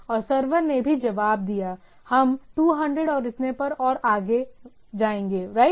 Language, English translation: Hindi, And the server in also it responded, we 200 and so and so forth, right